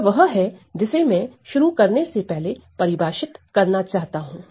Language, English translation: Hindi, So, that is the thing that I wanted to define to begin with